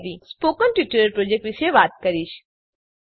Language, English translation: Gujarati, I will now talk about the spoken tutorial project